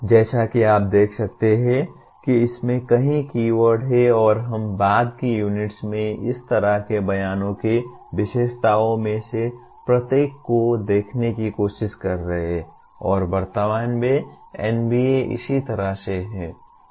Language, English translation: Hindi, As you can see there are several keywords in this and we will be trying to look at each one of the features of such statements in the later units and that is how NBA at present stated